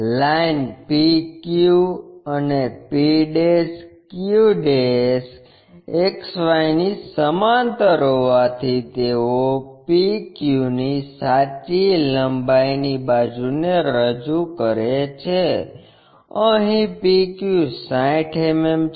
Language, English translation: Gujarati, As lines p q and p' q' are parallel to XY, they represent true length side of PQ; here PQ is 60 mm